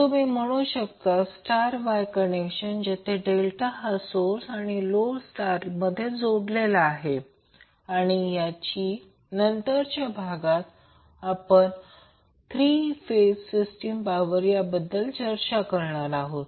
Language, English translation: Marathi, You can also say Delta Wye connection where delta is the source and the star connected is the load and also in the later part of the session, we will discuss about the energy for a three phased system